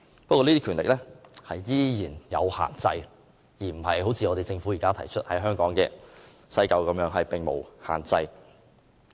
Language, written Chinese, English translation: Cantonese, 不過，這些權力依然是有限制的，並不像政府現時建議在香港西九龍站實施的安排般全無限制。, Yet the exercise of such powers is still subject to restrictions in contrast to the Governments proposed arrangement at the West Kowloon Station of Hong Kong which imposes no restrictions whatsoever on the exercise of such powers